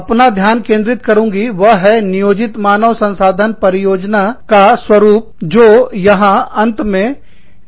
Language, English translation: Hindi, The one, i will focus on, is the pattern of planned human resource deployments, the last one here